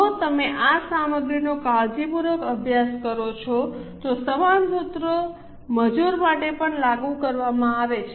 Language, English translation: Gujarati, If you study this material carefully, similar formulas are applied for labour also